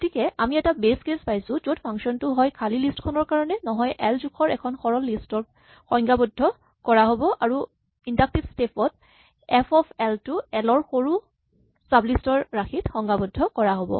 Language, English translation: Assamese, So, we will have a base case where the function is a defined either for the empty list or for the simple list of size 1 and in the inductive step f of l will be defined in terms of smaller sublists of l